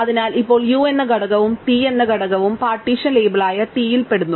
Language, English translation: Malayalam, So, now, both element u and element t belong to the partition label t, right